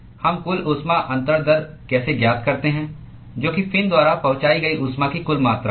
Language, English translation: Hindi, How do we find the total heat transfer rate, that is the total amount of heat that is transported by the fin